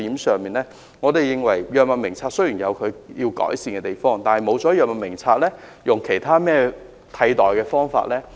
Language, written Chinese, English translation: Cantonese, 我們也認為藥物名冊有需要改善之處，但若取消了藥物名冊的話，又有何替代方案呢？, We are also of the view that this system needs improvement but will there be any alternative proposal if it is abolished?